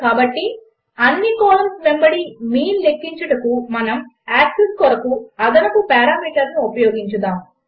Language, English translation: Telugu, So to calculate mean across all columns, we will pass extra parameter 1 for the axis